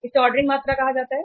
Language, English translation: Hindi, This is called as ordering quantity